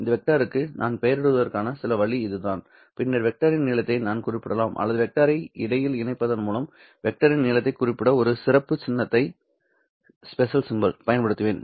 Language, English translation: Tamil, Then I can specify the length of the vector or I will use a special symbol to specify the length of the vector by enclosing that vector between these two lines